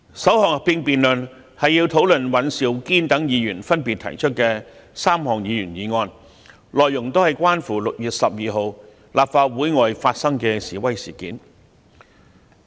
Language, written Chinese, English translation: Cantonese, 首項合併辯論是討論尹兆堅議員等提出的3項議員議案，內容都是關乎6月12日立法會外發生的示威事件。, The first joint debate will deal with the three motions proposed by Members including Mr Andrew WAN which relate to the incident regarding the protest outside the Legislative Council Complex on 12 June